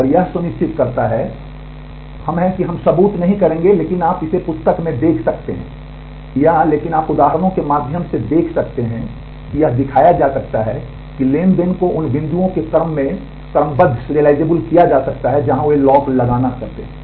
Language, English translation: Hindi, And this ensures so, we are we will not do the proof, but you can look it up in the book or, but you can see through examples that it can be shown that transactions can be serialized in the order of the points where they do the locking